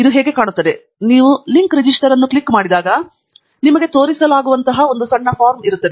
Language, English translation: Kannada, and this is how it looks like: when you click on the link register, there is a small form that will be shown to you